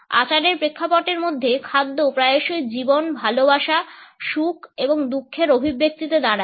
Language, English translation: Bengali, Within ritual contexts, food often stands in its expressions of life, love, happiness and grief